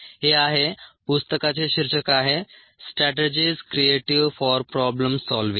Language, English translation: Marathi, the title of the book is strategies for creative problem solving